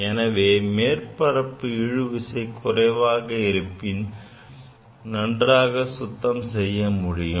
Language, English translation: Tamil, So, if surface tension is less, it is the better for washing